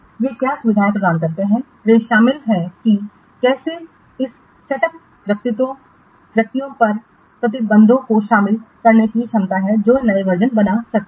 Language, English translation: Hindi, They include how to the ability to incorporate restrictions on the set of individuals who can create new versions